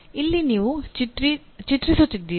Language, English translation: Kannada, This is also you are drawing